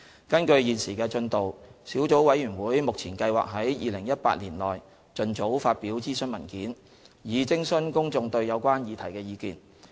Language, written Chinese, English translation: Cantonese, 根據現時的進度，小組委員會目前計劃在2018年內盡早發表諮詢文件，以徵詢公眾對有關議題的意見。, In the light of current progress the Sub - committees plan to publish consultation papers as soon as possible in 2018 so as to consult the general public on the issues involved